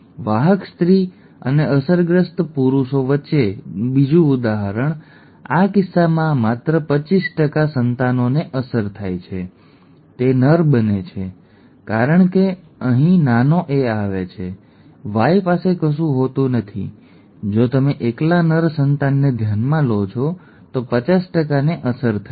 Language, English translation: Gujarati, Another example between a carrier female and an affected male; in this case only 25% of the offspring are affected, it happens to be a male because the small a comes here, the Y does not have anything, the if you consider the male offspring alone, 50% are affected